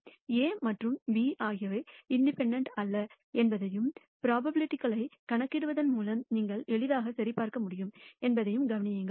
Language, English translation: Tamil, Notice that A and B are not independent and which you can easily verify by computing the probabilities also